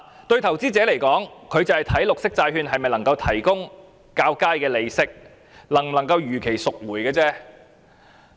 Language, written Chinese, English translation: Cantonese, 對投資者而言，他們只關心綠色債券能否提供較高利息、能否如期贖回而已。, Investors are only concerned about whether a green bond can offer a higher interest rate and can be redeemed on schedule . In fact the Governments attitude is the same